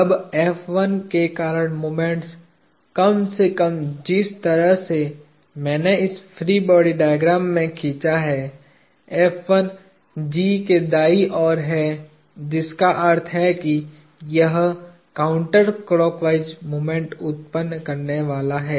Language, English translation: Hindi, Now, the moment due to F1; at least the way my I have drawn in this free body diagram, F1 is to the right of G; which means it is going to produce a counter clock wise moments